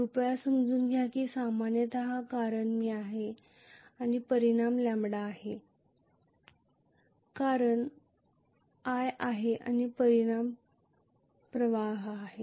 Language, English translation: Marathi, Please understand that generally the cause is i and the effect is lambda, cause is i and effect is flux